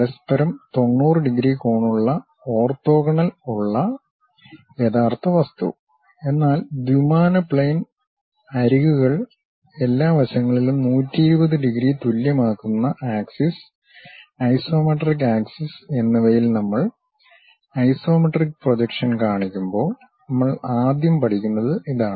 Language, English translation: Malayalam, Though the real object having 90 degrees angle orthogonal to each other; but when we are showing isometric projection on the two dimensional plane, the edges, the axis isometric axis those makes 120 degrees equally on all sides, this is the first thing what we learn